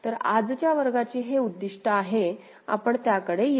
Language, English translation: Marathi, So, this is the objective of today’s class we shall come to that